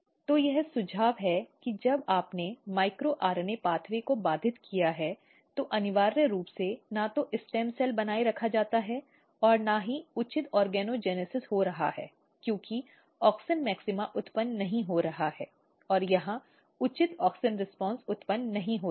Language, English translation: Hindi, So, this suggest that when you have disrupted micro RNA pathway, essentially neither stem cell is maintained nor proper organogenesis is taking place because auxin maxima not being generated or proper auxin responses are not getting generated here